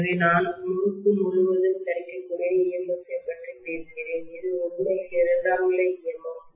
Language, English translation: Tamil, So even I am talking about as the available EMF across the winding, which will be actually inducing a secondary EMF